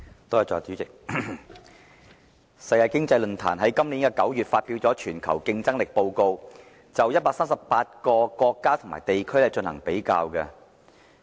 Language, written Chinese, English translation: Cantonese, 代理主席，世界經濟論壇在今年9月發表"全球競爭力報告"，就138個國家和地區進行比較。, Deputy President the World Economic Forum published the Global Competitiveness Report the Report in September this year ranking 138 countries and places in the world